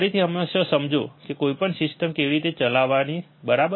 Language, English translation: Gujarati, Again, always understand how to operate any system, right